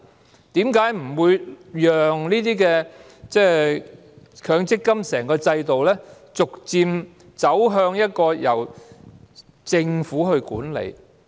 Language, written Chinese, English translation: Cantonese, 為何當局不讓整個強積金制度逐漸邁向由政府管理呢？, Why do the authorities not allow the whole MPF System to gradually move towards management by the Government?